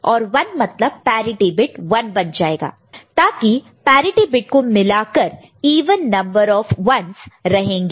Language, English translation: Hindi, And one 1, so parity beat becomes 1 so that even number of ones is there finally including the parity bit, right